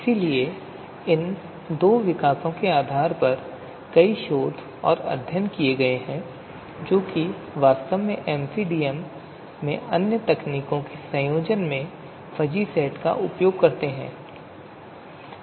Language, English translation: Hindi, So based on you know these two developments, a number you know, research studies have been conducted which actually use fuzzy sets in combination with other techniques in MCDM